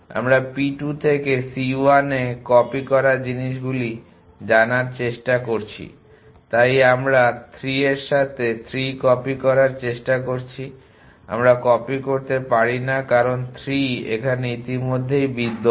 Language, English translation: Bengali, We are try to know copy things in to c 1 from p 2 so we are try to copy 3 with 3 we cannot copy, because 3 already exists in this